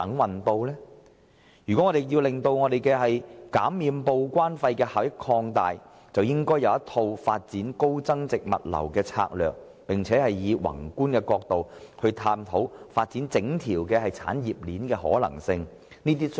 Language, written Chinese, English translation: Cantonese, 為了擴大減收報關費的效益，政府其實制訂有一套發展高增值物流業的策略，並從宏觀的角度探討發展整條產業鏈的可行性。, In order to better utilize the benefits brought by the reduction in TDEC charges the Government has actually formulated a set of strategies for the development of the high value - added logistics industry while studying from a macro perspective the feasibility of developing the entire industry chain